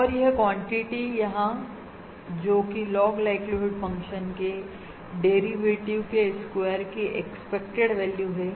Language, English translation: Hindi, Now, the Fisher information is the expected value of the square of the derivative of the log likelihood function